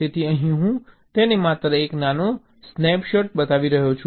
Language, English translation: Gujarati, so here i am showing it only a small snap shot